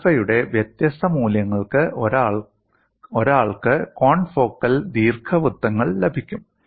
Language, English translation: Malayalam, And for different values of alpha, one gets confocal ellipses